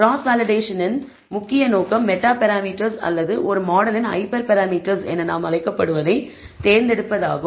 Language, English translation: Tamil, The main purpose of cross validation is to select what we call the number of meta parameters or hyper parameters of a model